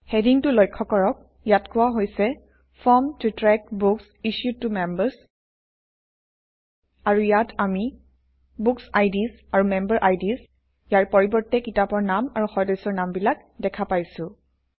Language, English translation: Assamese, Notice the heading that says Form to track Books issued to Members And here we see book titles and member names instead of bookIds and memberIds